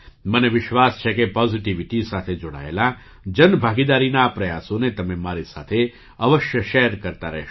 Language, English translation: Gujarati, I am of the firm belief that you will keep sharing such efforts of public participation related to positivity with me